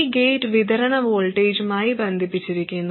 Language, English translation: Malayalam, This gets connected to the supply, some voltage